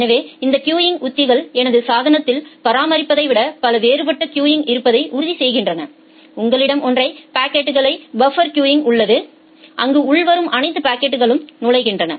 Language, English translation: Tamil, So, this queuing strategies ensures that I have multiple different queues in my device rather than maintaining a so, you have a single packet buffer queue where all the incoming packets are getting entered